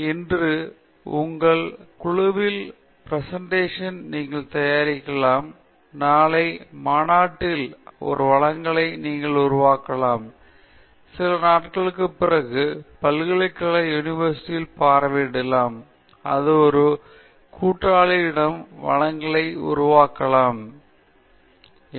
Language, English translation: Tamil, So, today you may make a presentation in your group, tomorrow you may make a presentation in a conference, a few days later you may visit a university and make a presentation to an allied group there, you may go to a funding agency make a presentation and so on